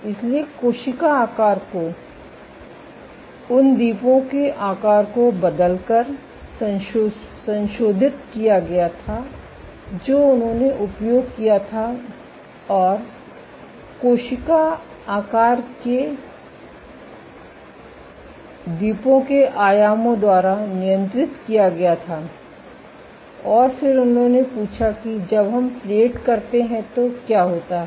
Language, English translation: Hindi, So, cell shape was changed modified by changing the shape of the islands that they used and cell size was controlled by the dimensions of the islands and then they asked that what happens when we plate